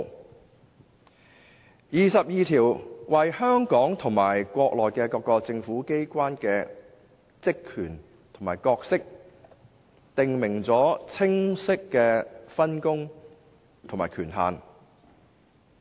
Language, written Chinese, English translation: Cantonese, 第二十二條為香港和國內各個政府機關的職權和角色，訂明了清晰的分工和權限。, Article 22 clearly specifies the division of labour and authority in respect of the functions and roles of various government bodies in Hong Kong and on the Mainland